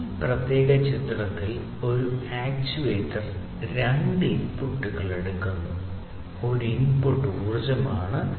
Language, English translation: Malayalam, So, as you can see in this particular figure, an actuator takes two inputs, one input is the energy